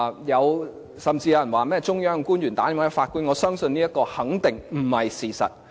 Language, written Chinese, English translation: Cantonese, 有人指有中央官員致電法官，提出要求，我相信這肯定不是事實。, Someone alleges that officials from the Central Authorities have made phone calls to our judges to make requests; I believe that this is definitely not the fact